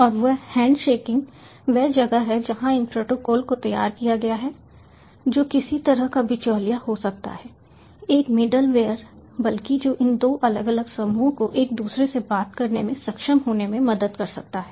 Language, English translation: Hindi, and that handshaking is where these protocols have been devised, which can be some kind of a middleman, a middleware rather, which can help these two different, diverse groups to be able to talk to each other